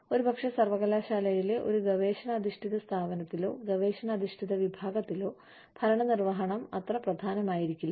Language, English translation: Malayalam, Maybe, in a purely research based organization, or a research based department, in a university, administration may not be, so important